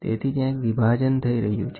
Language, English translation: Gujarati, So, there is a split happening